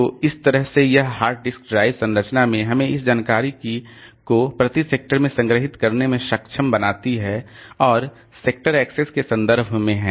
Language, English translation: Hindi, So, this way this hard disk drive structure enables us to have this information stored per sector and access is in terms of sectors